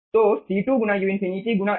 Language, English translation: Hindi, so c2 into u infinity into a